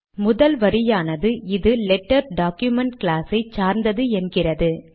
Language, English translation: Tamil, The first line says that this belongs to letter document class